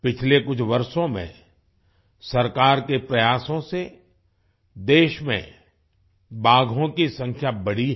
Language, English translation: Hindi, During the the last few years, through the efforts of the government, the number of tigers in the country has increased